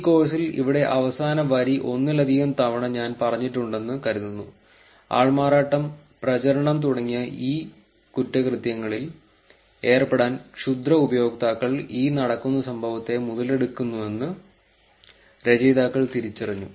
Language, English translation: Malayalam, I think the last line here I have said multiple times in this course, authors identified that malicious users exploit the event happening to indulge in e crimes like impersonation and propaganda spreading